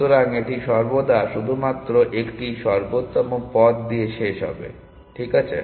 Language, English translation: Bengali, So, it will always terminate only with an optimal path; is it okay